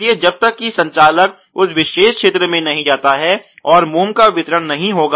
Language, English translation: Hindi, So, unless and until the operator goes to that particular region the disposal of the wax will not be there